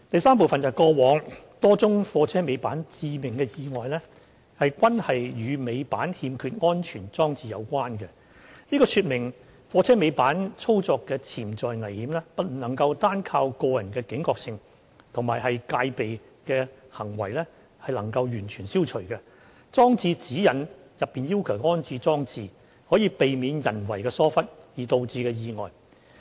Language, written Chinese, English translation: Cantonese, 三過往多宗貨車尾板致命意外均與尾板欠缺安全裝置有關，這說明貨車尾板操作的潛在危險不能單靠個人的警覺性及戒備行為便能完全消除，裝設《指引》內要求的安全裝置，可避免人為疏忽而導致的意外。, 3 The several fatal accidents involving tail lift were attributed to the absence of necessary safety devices . This underlined the fact that potential hazards of tail lift operation could not be completely eliminated by relying solely on personal alertness and vigilance . Installation of safety devices as required in GN can prevent tail lift accidents caused by human negligence